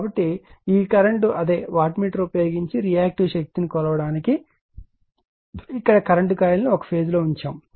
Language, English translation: Telugu, So, this this current your what you call , this here to measure the reactive power using the same wattmeter you put the current coil in one phase